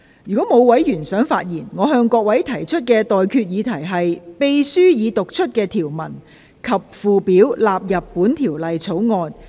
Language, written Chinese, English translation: Cantonese, 如果沒有委員想發言，我現在向各位提出的待決議題是：秘書已讀出的條文及附表納入本條例草案。, If no Member wishes to speak I now put the question to you and that is That the clauses and schedule read out by the Clerk stand part of the Bill